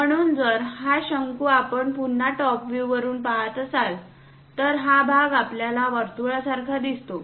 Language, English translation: Marathi, So, if we are looking from top view for this cone again, this part we see it like a circle